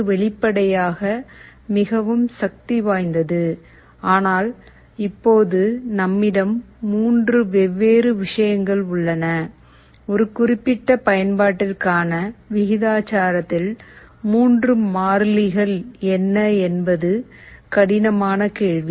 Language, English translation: Tamil, This is obviously most powerful, but now because we have 3 different things to tune, what will be the 3 constants of proportionality for a particular application is a difficult question